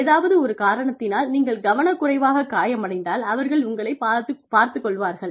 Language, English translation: Tamil, If, for whatever reason, inadvertently, you get hurt, they will look after you